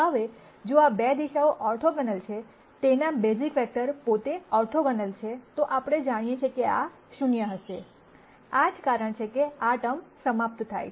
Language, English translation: Gujarati, Now if these 2 directions are orthogonal the basis vectors themselves are orthogonal, then we know that this will be 0, that is the reason why this term drops out